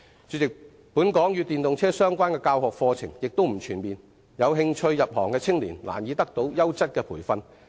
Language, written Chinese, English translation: Cantonese, 主席，本港與電動車相關的教學課程並不全面，有興趣入行的青年難以得到優質的培訓。, President there is a lack of comprehensive EV - related courses in Hong Kong . Young people who are interested to join the occupation can hardly receive any quality training